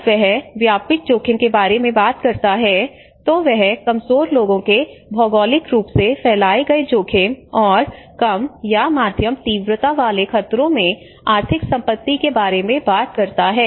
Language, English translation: Hindi, Whereas the extensive risk, when he talks about the extensive risk, he talks about the geographically dispersed exposure of vulnerable people and economic assets to low or moderate intensity hazard